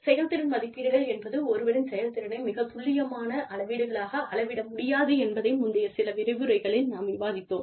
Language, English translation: Tamil, So, we have discussed this, in some of the previous lectures, that performance appraisals are not really considered, as very accurate measures, of somebody's performance